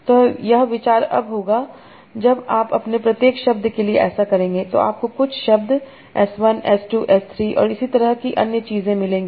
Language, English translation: Hindi, So idea would be now when you do that for each word you will get some senses, S1, H2, S3, and so on